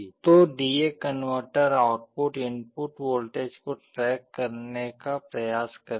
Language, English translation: Hindi, So, the D/A converter output will try to track the input voltage